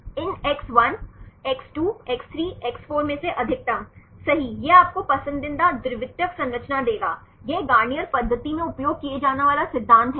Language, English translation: Hindi, The maximum, maximum of these X1, X2, X3, X4 right this will give you the preferred secondary structure right this is the principle used in Garnier method